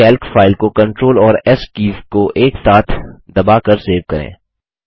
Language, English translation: Hindi, Lets save this Calc file by pressing CTRL and S keys together